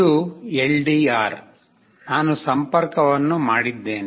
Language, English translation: Kannada, This is the LDR; I have made the connection